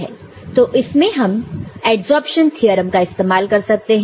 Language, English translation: Hindi, So, in this you can use the adsorption theorem